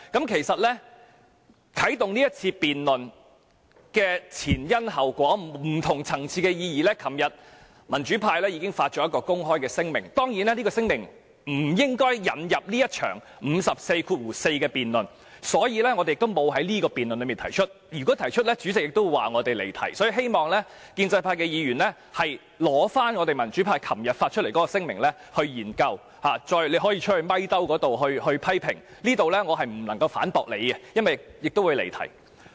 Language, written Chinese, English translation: Cantonese, 其實，啟動這次辯論的前因後果和不同層次的意義，民主派昨天已發出公開聲明，當然，這聲明不應引入這一場根據《議事規則》第544條動議的議案辯論，所以我們沒有在這項辯論中提出，否則主席會說我們離題，所以希望建制派議員研究民主派昨天發出的聲明，他們可以到外面的傳媒採訪區批評我們，但我不能在此反駁他們，因為會屬發言離題。, Certainly that statement should not be included in the present debate on the motion proposed under RoP 544 and we would not do so lest the President says we have strayed from the question . Yet I hope Members from the pro - establishment camp will study the statement issued by the pro - democracy camp yesterday . They may criticize us at the Press Area outside yet I cannot refute them here for this will be regarded as digression